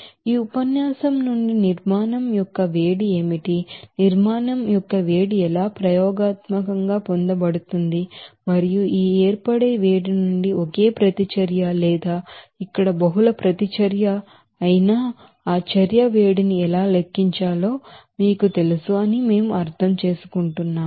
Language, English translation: Telugu, So here from this lecture, we understood that what is the heat of formation, how heat of formation can be you know calculated based on the heat of reaction which is obtained experimentally and also from this heat of formation how to calculate that heat of reaction, whether it is single reaction or here multiple reaction